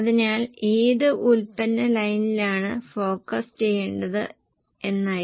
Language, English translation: Malayalam, So, answer was which product line to be focused